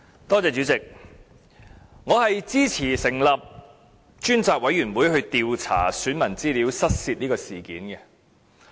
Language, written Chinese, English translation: Cantonese, 代理主席，我支持成立專責委員會，調查選民資料失竊事件。, Deputy President I support the establishment of a select committee on investigating the incident of voter registration data theft